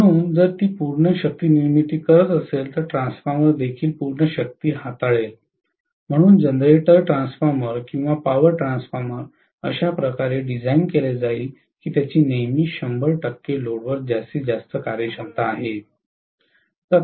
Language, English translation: Marathi, So, if it is generating full power then the transformer will also be handling full power, so the generator transformer or power transformer will be designed in such a way that it will always have maximum efficiency at 100 percent load